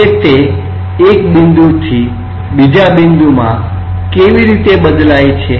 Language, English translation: Gujarati, Now, how it varies from one point to another point